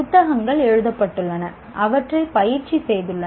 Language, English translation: Tamil, Books have been written, people have practiced them